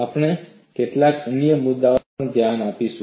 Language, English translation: Gujarati, We will also look at certain other issues